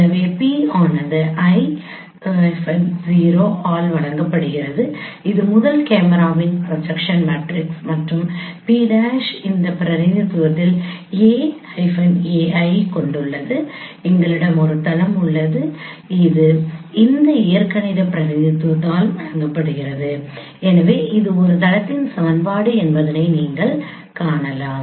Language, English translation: Tamil, So P is given by I 0 that is the projection matrix for the first camera and p prime uh given in this representation capital a and small a instead of m small m we are using capital a small a in this particular representation and uh we have a plane which is given by thisic representation as you can see this is a equation of a plane